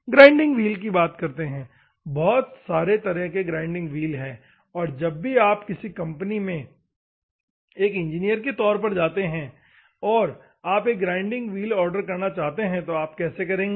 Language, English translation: Hindi, Coming to the grinding wheels, there are many varieties of wheels and as an engineer whenever you are going to a company and if you want to order a grinding wheel, how do you order